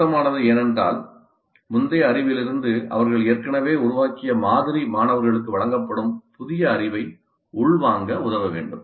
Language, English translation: Tamil, Relevant because the model that they already have built up from the previous knowledge must help the students in absorbing the new knowledge that is being imparted